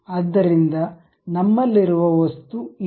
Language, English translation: Kannada, So, this is the object